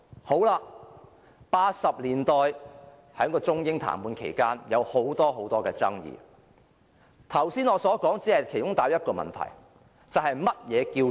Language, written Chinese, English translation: Cantonese, 在1980年代中英談判期間有很多爭議，我剛才所說的只帶出其中的一個問題，就是何謂選票？, There were many disputes during the Sino - British negotiations in the 1980s and what I have just said serves to bring out one of the questions only what is a vote or a voter?